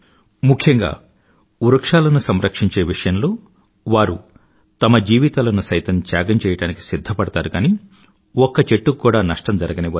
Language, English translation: Telugu, Specially, in the context of serving trees, they prefer laying down their lives but cannot tolerate any harm to a single tree